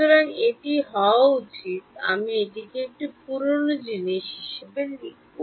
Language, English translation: Bengali, So, this should be I will rewrite this whole thing